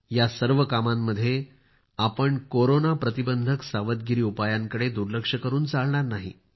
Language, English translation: Marathi, In the midst of all these, we should not lower our guard against Corona